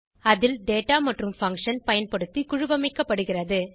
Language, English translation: Tamil, In which the data and the function using them is grouped